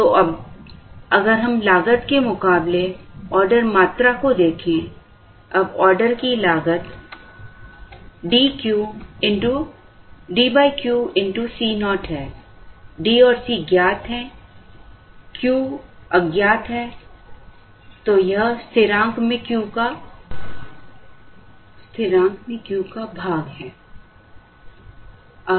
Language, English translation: Hindi, So, if we look at, now cost versus order quantity, now the order cost is of the form D by Q into C naught, D and C naught are known, Q is the unknown, so it is constant divided by Q